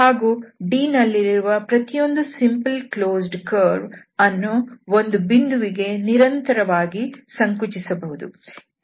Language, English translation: Kannada, And every simple closed curve in C, every simple closed curve C in this D can be continuously shrunk to a point while remaining in D